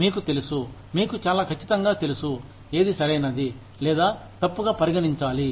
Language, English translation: Telugu, You know, you are very sure of, what should be considered as, right or wrong